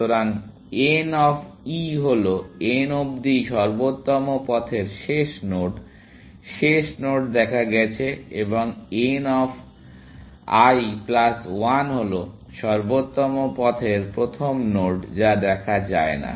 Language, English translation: Bengali, So, n of l, last node on optimal path to n, last node seen, and n of l plus one is the first node on optimal path, which is not seen